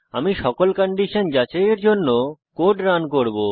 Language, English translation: Bengali, I will run the code to check all the conditions